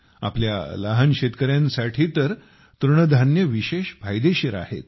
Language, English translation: Marathi, For our small farmers, millets are especially beneficial